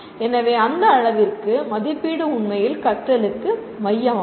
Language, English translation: Tamil, So to that extent assessment is really central to learning